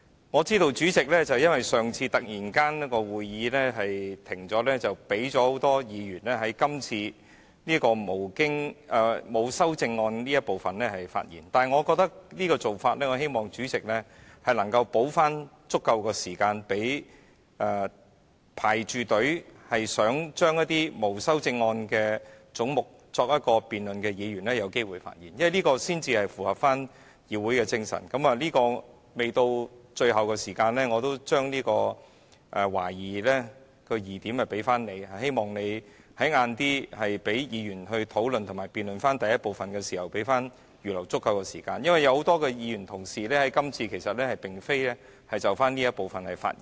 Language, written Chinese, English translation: Cantonese, 我知道由於上次會議突然停止，因此主席容許很多議員在今天辯論沒有修正案的總目這部分發言，對於這種做法，我希望主席能夠補足時間，讓正在輪候、想就一些沒有修正案的總目進行辯論的議員有機會發言，因為這樣才符合議會精神——關於這點，未到最後，我也會把疑點利益歸於主席——希望你稍後讓議員討論及辯論第1部分時能預留足夠時間，因為有很多議員同事今次並非想就這一部分發言。, I know that due to the abrupt end of the last meeting the President has given permission to many Members to speak in this part of the debate on heads with no amendment today . On this arrangement I hope the Chairman could allow adequate time so that Members who are waiting to speak on the heads with no amendment can have the opportunity to do so because only in this way can we live up to the spirit of the legislature―on this point I would give the President the benefit of the doubt until the end―I hope that later on you will give Members sufficient time to have discussions as well as conduct a debate on the first part because actually it is not this part that many Honourable colleagues want to talk about